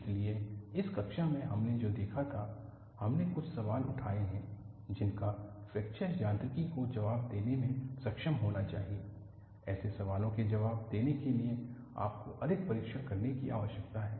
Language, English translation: Hindi, So, in this class, what we had looked at was, we have raised certain questions that fracture mechanics should be able to answer; in order to answer such questions, you need to conduct more tests